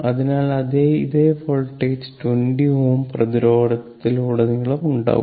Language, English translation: Malayalam, So, same voltage we will impress across your 20 ohm resistance